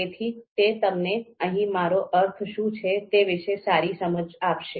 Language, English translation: Gujarati, So that would give you a good understanding of what we mean here